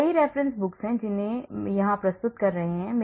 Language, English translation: Hindi, There are many references books I am introducing here